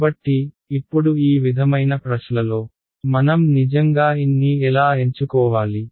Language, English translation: Telugu, So, now this sort of brings a question how do I actually choose n